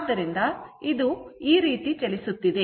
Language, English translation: Kannada, So, it is moving like this